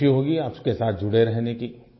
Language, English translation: Hindi, I will be happy to remain connected with you